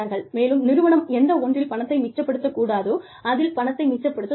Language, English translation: Tamil, And, the organization saves money, where it should not be saving money